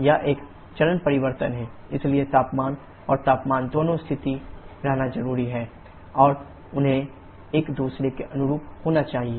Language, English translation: Hindi, This is a phase change so pressure and temperature both should remain constant and they should correspond to each other